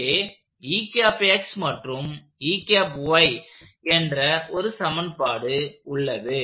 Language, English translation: Tamil, So, I will write those equations